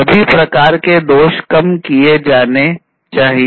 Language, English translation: Hindi, And defects of all kinds should be reduced